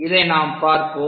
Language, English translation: Tamil, So, let us look at this